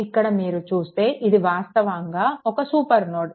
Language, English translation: Telugu, So, if you look here this is actually super node, right